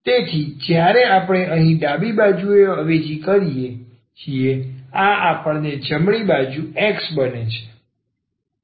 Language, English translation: Gujarati, So, when we substitute here in the left hand side, this we should get the right hand side X